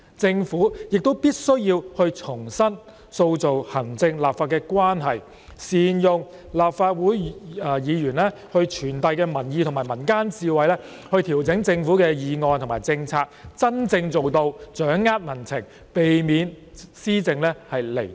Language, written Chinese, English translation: Cantonese, 政府必須重新塑造行政立法關係，善用立法會議員傳遞的民意及民間智慧來調整政府的議案和政策，以真正掌握民情，避免施政"離地"。, The Government should rebuild the relationship between the Executive and the Legislature; make good use of the public opinions and wisdom conveyed by the Legislative Council Members in adjusting government motions and policies with a view to grasping the true public sentiment and avoiding having its head in the clouds in policy implementation